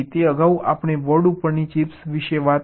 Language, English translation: Gujarati, it earlier we have talking about chips on the boards